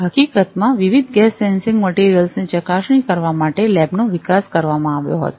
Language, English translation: Gujarati, In fact, the lab was developed to test a variety of gas sensing materials